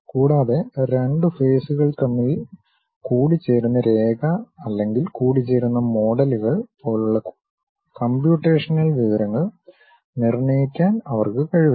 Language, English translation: Malayalam, And, they do not have any ability to determine computational information such as the line of intersection between two faces or intersecting models